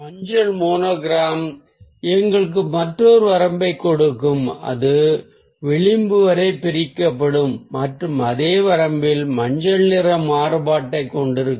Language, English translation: Tamil, so the yellow monochrome will give us another range that will be divided till the edge and will have variation of yellow in the same range